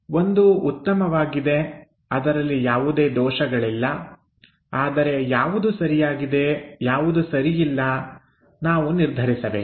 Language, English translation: Kannada, One is good, there is nothing wrong; however, what is good what is not that good we have to decide